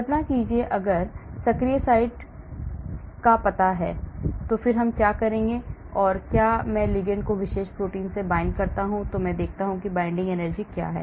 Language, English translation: Hindi, imagine, if the active site is known what do I do is I bind the ligand to the particular protein and I see what is the binding energy